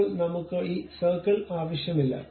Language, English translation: Malayalam, Now, I do not want this circle